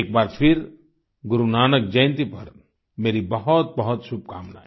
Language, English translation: Hindi, Once again, many best wishes on Guru Nanak Jayanti